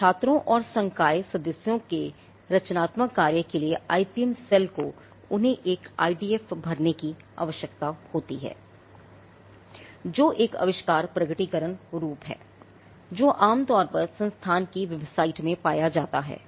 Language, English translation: Hindi, Now the creative work that emanates from the students and the faculty members, this the IPM cell requires them to fill an IDFs which is an invention disclosure form which is usually found in the institute website